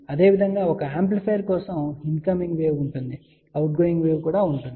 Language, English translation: Telugu, Similarly for an amplifier there will be a incoming wave there will be outgoing wave